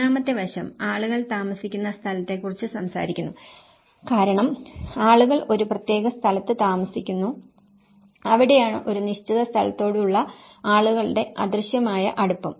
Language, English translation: Malayalam, The third aspect, which is talking about the lived space as the people tend to live at a particular place that is where an invisible degree of people's attachment to a certain place